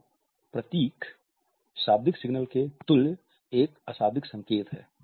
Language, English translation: Hindi, So, emblems are nonverbal signals with a verbal equivalent